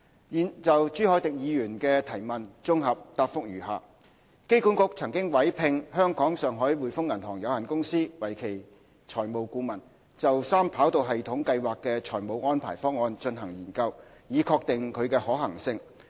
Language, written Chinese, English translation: Cantonese, 現就朱凱廸議員的質詢綜合答覆如下：機管局曾委聘香港上海滙豐銀行有限公司為其財務顧問，就三跑道系統計劃的財務安排方案進行研究，以確定其可行性。, My consolidated reply to Mr CHU Hoi - dicks question is as follows AA appointed The Hongkong and Shanghai Banking Corporation Limited as its financial advisor to conduct a feasibility study on the financial arrangement plan for the 3RS project